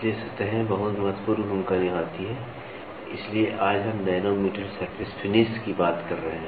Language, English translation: Hindi, So, surfaces play a very very important role that is why today, we are talking about nanometer surface finish